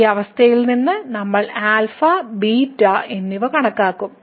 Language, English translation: Malayalam, So, out of this condition we will compute alpha and beta